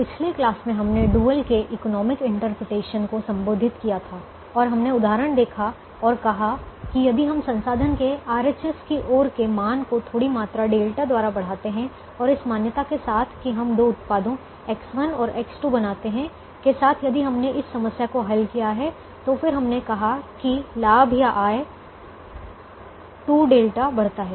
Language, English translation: Hindi, in the last class we addressed the economic interpretation of the dual and we booked at the same example and said: if we increase the value of the right hand side of the resource, first resource, by a small quantity delta, and if we solved the problem under the assumption that we make the two products x one and x two, then we said that the profit increases or revenue increases by two delta